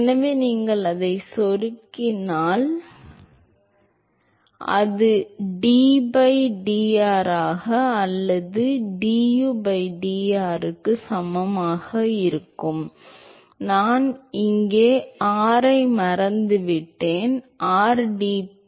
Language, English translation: Tamil, So, therefore, if you plug that in, it will be mu into d by dr or du by dr equal to oh, I have forgotten r here, rdp by dx